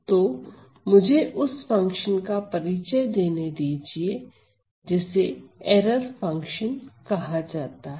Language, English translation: Hindi, So, let me introduce the function known as the error function